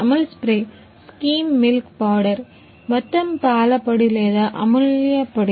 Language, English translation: Telugu, Amul spray, skim milk powder, whole milk powder or Amulya powder